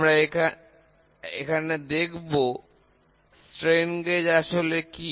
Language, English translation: Bengali, We will see what is strain gauge